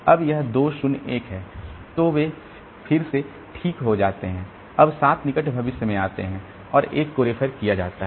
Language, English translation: Hindi, Now this 2 0 1 so they are fine again when the 7 comes in near future 0 and 1 are going to be referred to so this 2 will be replaced by 1